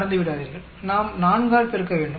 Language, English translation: Tamil, Do not forget, we have to multiply by 4